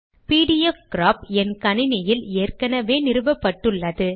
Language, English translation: Tamil, pdfcrop is already installed in my system